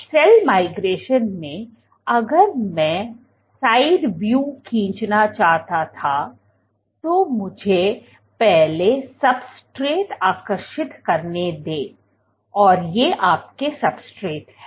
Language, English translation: Hindi, So, in cell migration, if I were to draw in side view, let me draw the substrate, these your substrate